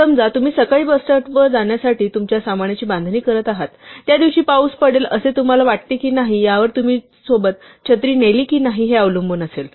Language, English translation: Marathi, Supposing, you are packing your things to leave for the bus stop in the morning, or whether or not you take an umbrella with you will depend on whether you think it is going to rain that day